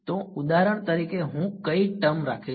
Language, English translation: Gujarati, So, H for an example which term will I keep